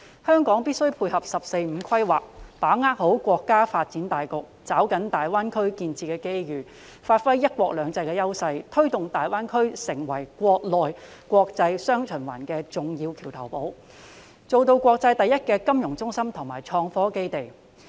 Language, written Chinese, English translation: Cantonese, 香港必須配合"十四五"規劃，把握國家的發展大局，抓緊大灣區建設的機遇，發揮"一國兩制"的優勢，推動大灣區成為"國內國際雙循環"的重要橋頭堡，做到國際第一金融中心及創科基地。, Hong Kong must complement the 14 Five - Year Plan get hold of the overall national development seize the opportunities presented by the development of GBA give full play to our advantages under one country two systems drive GBA to become an important bridgehead in the domestic and international dual circulation thereby maintaining our position as the worlds leading financial centre and a base of innovation and technology